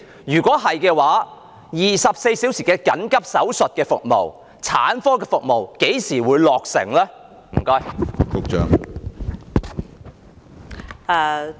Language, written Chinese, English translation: Cantonese, 如是，當局會何時落實24小時緊急手術服務及產科服務呢？, If yes when will the authorities put in place 24 - hour surgical services for emergency cases and also obstetric services?